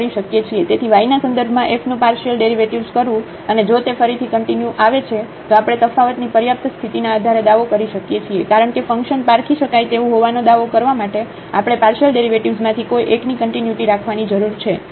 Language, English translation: Gujarati, So, the partial derivative of f with respect to y and if that comes to be continuous again we can claim based on the sufficient condition of differentiability, because we need to have the continuity of one of the partial derivatives to claim that the function is differentiable